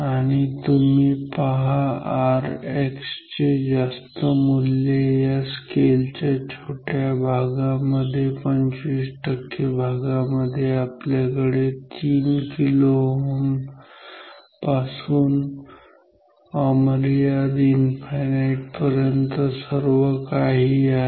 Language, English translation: Marathi, And, you see all high values of R X that in a very small region within this 25 percent of the scale we have everything from 3 kilo ohm to infinite